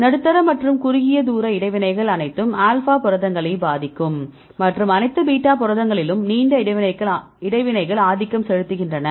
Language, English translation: Tamil, Medium and short range interactions right the influence the all alpha proteins and the longer interactions are dominant in the all beta proteins